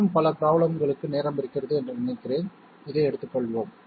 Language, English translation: Tamil, I think we have time for you more problems, let us take this one